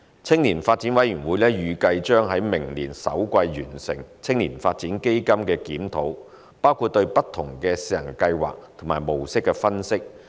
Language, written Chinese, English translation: Cantonese, 青年發展委員會預計將在明年首季完成青年發展基金的檢討，包括對不同的試行計劃和模式的分析。, The Commission expects that the review of YDF covering an analysis of various pilot schemes and modes will be completed in the first quarter of next year